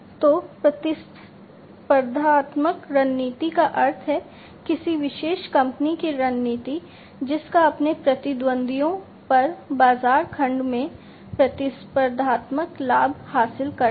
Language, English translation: Hindi, So, competitive strategy means, the strategy of a particular company to gain competitive advantage over its competitors, in the market segment